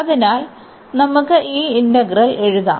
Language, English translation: Malayalam, So, let us write down this integral